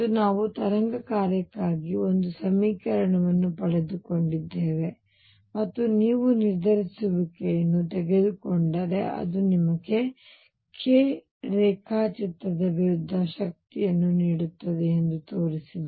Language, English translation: Kannada, And we derived an equation for the wave function and showed that if you take the determinant it gives you the energy versus k diagram